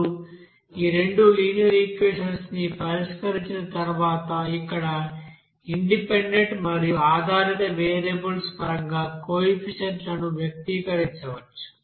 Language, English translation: Telugu, Now after solving these two linear equations, we can express the coefficients in terms of that independent and dependent variables here by this here